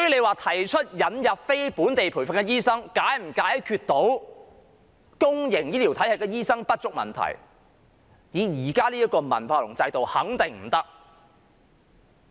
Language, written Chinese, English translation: Cantonese, 那麼引入非本地培訓醫生是否能解決公營醫療體系醫生不足的問題呢？, In that case will the admission of non - locally trained doctors address the shortage of doctors in the public healthcare sector?